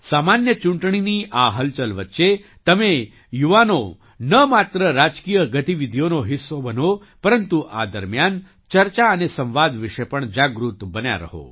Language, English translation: Gujarati, Amidst this hustle and bustle of the general elections, you, the youth, should not only be a part of political activities but also remain aware of the discussions and debates during this period